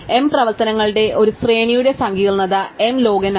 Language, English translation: Malayalam, Amortize complexity for a sequence of m operations is m log n